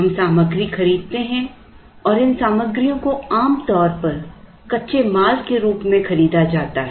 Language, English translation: Hindi, We buy material and these material are usually bought as raw material